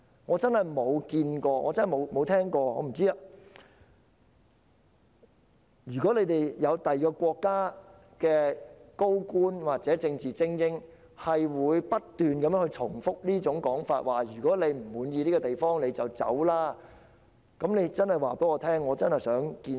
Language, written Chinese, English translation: Cantonese, 我真的想知道有否任何其他國家的高官或政治精英會不斷重複這種說法，要求不滿意這個地方的人離開，如果有便請告訴我，我真的很想見識。, I really want to know if senior officials or political elites of any country will keep repeating the remark of asking people who feel dissatisfied to leave . If there is please tell me as I really want to meet them